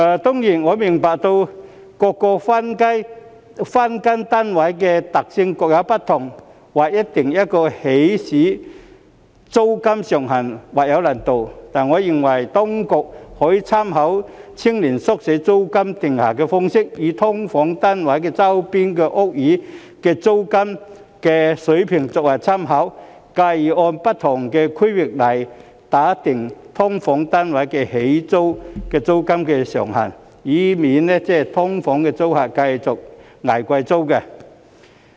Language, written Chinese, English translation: Cantonese, 當然，我明白各個分間單位的特性各有不同，劃一訂定起始租金上限或有難度，但我認為當局可以參考青年宿舍的租金訂定方式，以"劏房"單位周邊的屋宇租金水平作為參考，繼而按不同的區域來訂定"劏房"單位的起始租金上限，以免"劏房"租客繼續"捱貴租"。, Certainly I understand that given the individual characteristics of each SDU there might be difficulties in setting a flat cap for the initial rent of SDUs . However I think the authorities can draw on the rent setting approach of youth hostels by taking the rent level of buildings in the vicinity of a SDU as reference and subsequently set the cap of the initial rent of SDUs against different areas so as to save SDU tenants from paying expensive rents anymore